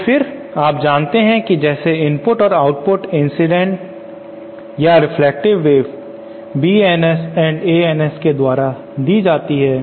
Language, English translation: Hindi, So then you know we can see we the input and output the incident or reflected waves are given as B Ns and A Ns